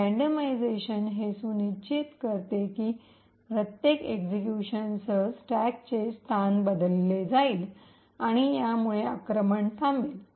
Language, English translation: Marathi, The randomization would ensure that the location of the stack would be changed with every execution and this would prevent the attack